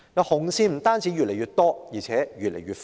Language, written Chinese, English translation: Cantonese, "紅線"不單越來越多，而且越來越闊。, Not only that the number of these red lines is increasing their range grows increasingly broader